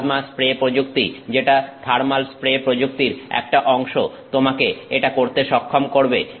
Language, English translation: Bengali, The plasma spray technique which is a part of a type of thermal spray technique enables you to do this